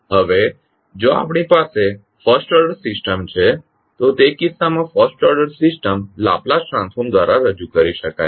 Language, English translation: Gujarati, Now, if we have a first order system then in that case the first order system can be represented by the Laplace transform